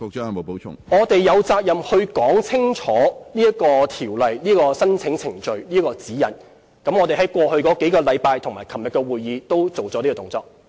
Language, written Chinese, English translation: Cantonese, 我們有責任說清楚條例的申請程序和指引，我們在過去數星期和昨天的會議均已作出相關動作。, We have the responsibility to clearly explain the application procedures under the law and the guidelines . We have done so in the meetings over the past few weeks and yesterday